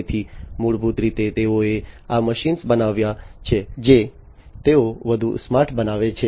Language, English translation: Gujarati, So, basically they have made these machines that they produce smarter